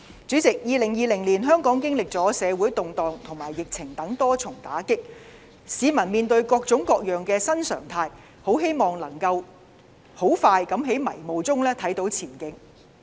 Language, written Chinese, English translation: Cantonese, 主席，香港在2020年經歷了社會動盪和疫情等多重打擊，市民面對各式各樣的新常態，很希望能夠盡快在迷霧中看到前景。, President Hong Kong has suffered many blows in 2020 including social turmoil and the pandemic . In the face of various new normals Hong Kong people are very eager to see the light at the end of the tunnel